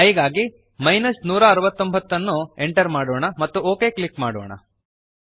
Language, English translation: Kannada, Lets run again, lets enter 169 for i and click OK